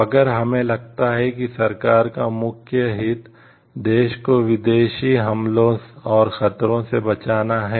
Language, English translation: Hindi, So, if we feel like the government s main interest lies in protecting the country from foreign invasion and threat